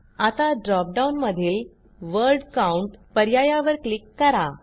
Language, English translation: Marathi, Now click on the Word Count option in the dropdown box